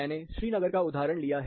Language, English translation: Hindi, I have taken the example of Srinagar